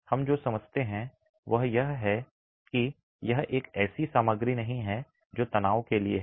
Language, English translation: Hindi, What we do understand is this is not a material that is meant for tension